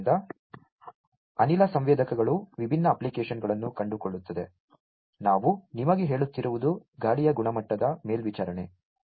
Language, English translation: Kannada, So, gas sensors find different applications; what I was telling you is air quality monitoring